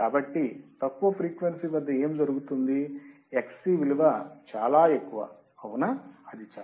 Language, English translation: Telugu, So, what will happen that at low frequency Xc is very high right, it is very high